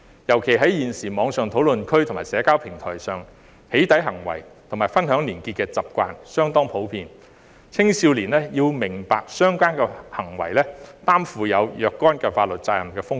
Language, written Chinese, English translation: Cantonese, 尤其現時網上討論區及社交平台上"起底"行為及分享連結的習慣相當普遍，青少年要明白相關行為存在承擔若干法律責任的風險。, In particular as the habit of doxxing people and sharing weblinks on online discussion forums and social software platforms is quite common nowadays young people should understand the risk of incurring certain legal liabilities for such acts